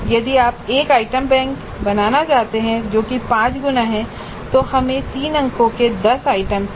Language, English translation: Hindi, So if you want to create an item bank which is five times that then we need 10 items of three marks each